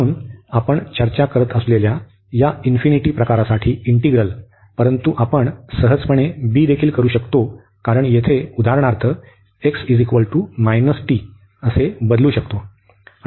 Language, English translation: Marathi, So, this a to infinity type of integrals we are discussing, but this also we can easily b, because we can substitute for example here x is equal to minus t